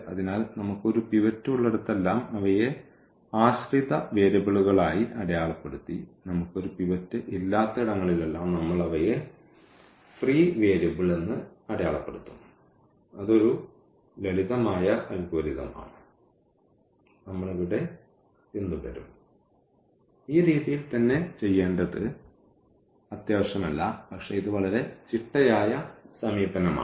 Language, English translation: Malayalam, So, wherever we have a pivot we marked them as dependent variables and wherever we do not have a pivot we will mark them free variable that is a that is a simple algorithm we will follow here though it is not necessary that we have to do in this way, but this is a very systematic approach